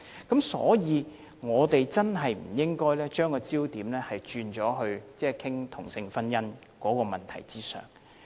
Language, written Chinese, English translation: Cantonese, 因此，我們真的不應把焦點放在討論同性婚姻的問題上。, For this reason we should really refrain from focusing our discussion on same - sex marriage